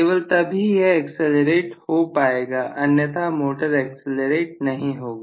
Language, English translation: Hindi, Only then it is going to give an acceleration otherwise no way the motor will accelerate, right